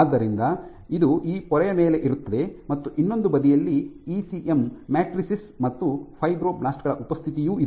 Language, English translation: Kannada, So, they lie on this membrane on this membrane and on the other side you have ECM matrices and also the presence of fibroblasts